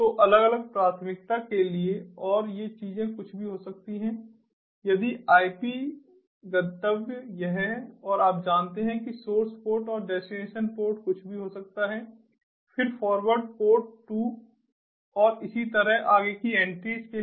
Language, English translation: Hindi, if the ip destination is this and the you know the source port and the destination port can be anything, then forward to port two, and so on and so forth for the other entries